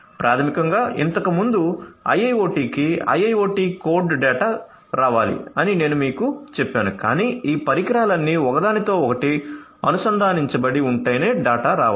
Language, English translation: Telugu, So, basically you know earlier I told you that IIoT code to IIoT is data, but the data has to come only if these devices are all interconnected right